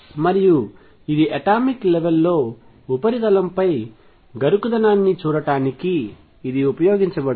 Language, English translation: Telugu, And this has been used to see the roughness in the surface of the atomic level